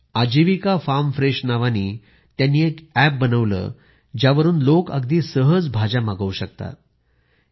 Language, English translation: Marathi, These women got an app 'Ajivika Farm Fresh' designed through which people could directly order vegetables to be delivered at their homes